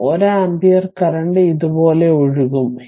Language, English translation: Malayalam, So, this 1 ampere current will be flowing like this